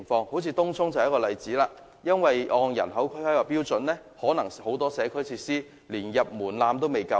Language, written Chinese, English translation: Cantonese, 正如東涌便是一例，如果按人口進行規劃，很多社區設施可能連"入門檻"也過不了。, If planning is formulated on the basis of population it is possible that the population size has failed to meet even the minimum threshold for the provision of many community facilities